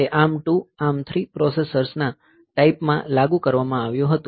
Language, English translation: Gujarati, So, it was implemented in ARM 2, ARM 3, type of processors